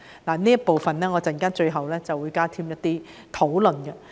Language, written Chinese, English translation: Cantonese, 我在發言的最後部分會加添一些討論。, I will talk about this in the last part of my speech